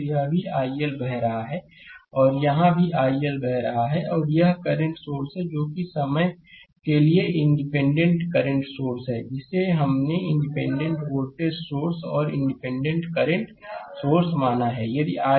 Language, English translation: Hindi, Here also i L is flowing here also i L is flowing, and this current source that is independent current source for the timing we have consider independent voltage source and independent current source